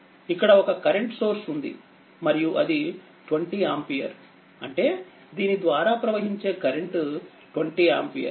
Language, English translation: Telugu, And an another thing is that this is current source is here one current source is here, and it is 20 ampere; that means, current flowing through this is 20 ampere